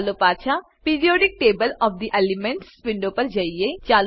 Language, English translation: Gujarati, Lets go back to the Periodic table of the elements window